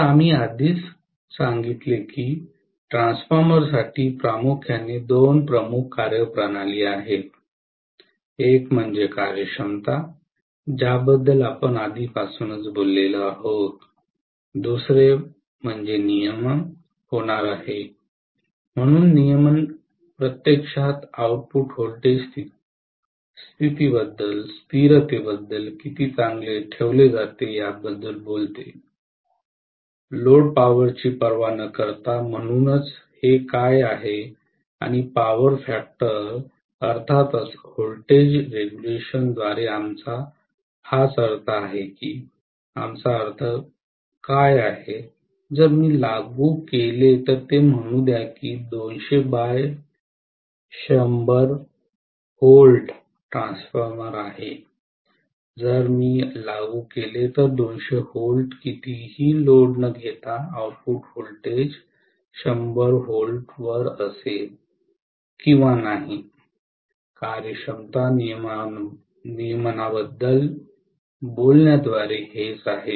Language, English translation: Marathi, So we told already that there are mainly two major performance parameters for a transformer, one is efficiency which we talked about already, the second one is going to be regulation, so regulation actually talks about how well the output voltage is maintained as a constant, irrespective of the load power, so this is what and power factor, of course, this is what we mean by voltage regulation, what we mean is, if I apply let us say it is are 200 by 100 V transformer, if I apply 200 V irrespective of the load whether the output voltage will be at 100 V or not, this is what we mean by talking about efficiency, regulation